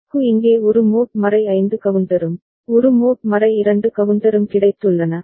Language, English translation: Tamil, And this IC has got a mod 5 counter over here right, and a mod 2 counter right